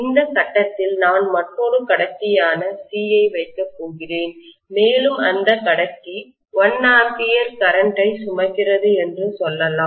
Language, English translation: Tamil, Let’s say at this point, I am going to place another conductor C, and let’s say the conductor is carrying 1 ampere of current